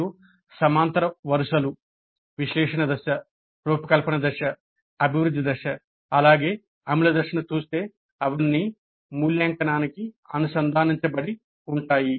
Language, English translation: Telugu, If you see the horizontal rows, analysis phase, design phase, development phase as well as implement phase, they are all linked to evaluate